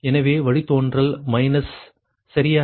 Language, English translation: Tamil, so minus here, minus here right